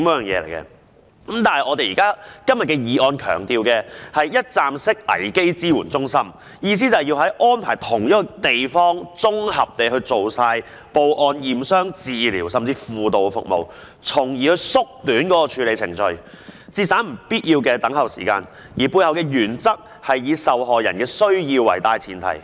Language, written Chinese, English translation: Cantonese, 然而，今天的議案強調的是一站式危機支援中心，意思是要安排在同一地點綜合地進行報案、驗傷、治療甚至輔導服務，從而縮短處理程序，節省不必要的等候時間，而背後的原則是以受害人的需要為大前提。, Nevertheless todays motion puts emphasis on a one - stop crisis support centre which means that the authorities should designate a venue for the victim to report hisher case to the Police to receive injury assessment treatment or even counselling service with a view to shortening the procedure and saving unnecessary waiting time . The principle is to give priority to the needs of the victims